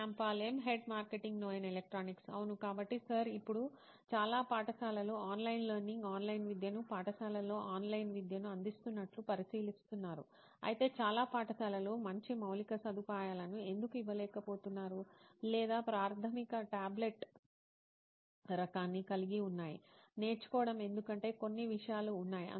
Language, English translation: Telugu, Yes, so Sir now considering like most of the schools are starting online learning, online education like they are providing online education in the schools, but there is a thing like why most schools are not able to provide good infrastructure or the basic tablet kind of learning because there are few things